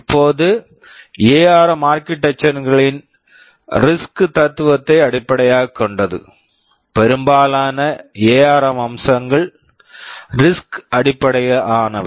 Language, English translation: Tamil, Now, ARM is based on the RISC philosophy of architectures, most of the ARM features are RISC based